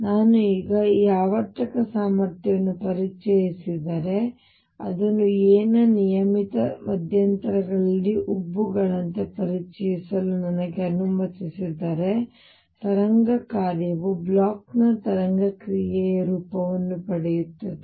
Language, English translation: Kannada, If I now introduce this periodic potential and let me introduce it like bumps at regular intervals of a, the wave function takes the form of Bloch’s wave function